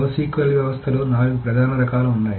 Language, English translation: Telugu, So, there are four main types of no SQL systems